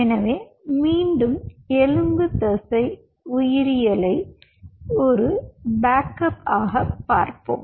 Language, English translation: Tamil, so again, just lets visit the skeletal muscle biology as a backup